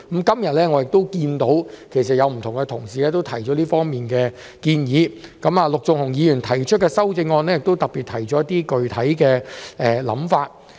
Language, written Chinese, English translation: Cantonese, 今天，我見到多位同事也提出這方面的建議，陸頌雄議員的修正案亦特別提出了一些具體想法。, Today I saw various Honourable colleagues put forward proposals in this regard and Mr LUK Chung - hungs amendment has particularly presented some specific ideas